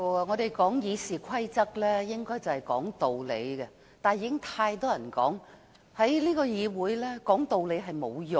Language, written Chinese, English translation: Cantonese, 我們根據《議事規則》說道理，但正如很多人所言，在這個議會內說道理並沒有用。, We are supposed to reason with others in accordance with the Rules of Procedure RoP . Yet as many people have pointed out it is pointless to reason in this Council